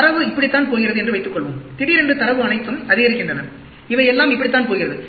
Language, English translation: Tamil, And suppose, data is going like this, and suddenly, the data all shoots up and it is going all like this